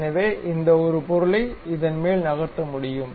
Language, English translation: Tamil, So, this one can move on this object